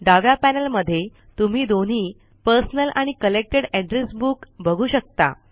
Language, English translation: Marathi, In the left panel, you can see both the Personal and Collected Address Books